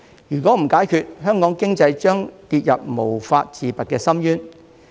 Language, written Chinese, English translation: Cantonese, 如果不解決，香港經濟將跌入無法自拔的深淵。, If the problem was not resolved Hong Kongs economy would plunge into an abyss of no return